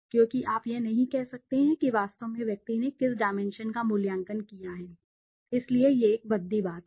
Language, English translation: Hindi, Because you cannot say on which dimension actually the person has evaluated so that is a clumsy thing